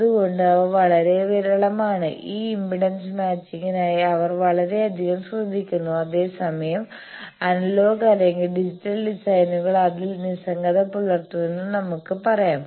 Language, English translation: Malayalam, That is why they are very sparse, they take a lot of care for this impedance matching whereas, we can say that the analogue or digital designs are indifferent to that